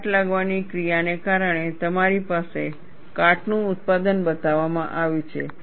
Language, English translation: Gujarati, Because the corrosive action, you have corrosion product shown